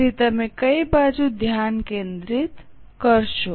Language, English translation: Gujarati, So, which one will you focus